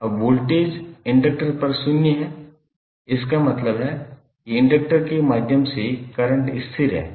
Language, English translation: Hindi, Now voltage across inductor is zero, it means that current through inductor is constant